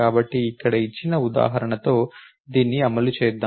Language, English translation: Telugu, So, let us run this with the given example over here